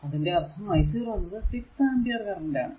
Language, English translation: Malayalam, So, point that means, i 0 is equal to your 6 ampere, got it